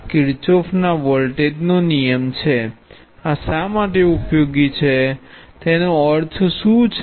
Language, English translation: Gujarati, This is Kirchhoff’s voltage law, what does this mean why this is useful